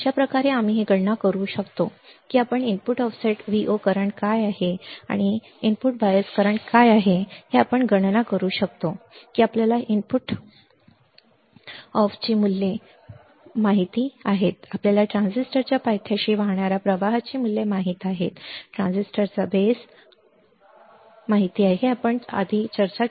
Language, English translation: Marathi, This is how we can calculate this is how you can calculate what is the input offset Vo current and what is the input bias current given that you know the values of input off, you know the values of current flowing to the base of the transistor to the base of the transistors, all right, this is one example what we have discussed